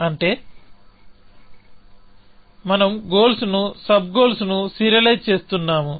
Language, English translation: Telugu, we have serializing the goals, sub goals, essentially